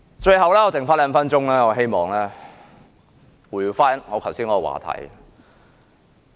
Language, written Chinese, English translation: Cantonese, 最後，餘下兩分鐘時間，我希望回到剛才的話題。, Lastly in the remaining two minutes I wish to return to the subject just now